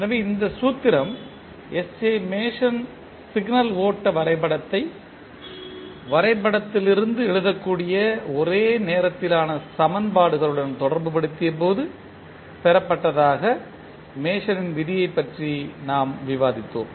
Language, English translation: Tamil, So, what we discussed about the Mason’s rule that this particular formula was derived by S J Mason when he related the signal flow graph to the simultaneous equations that can be written from the graph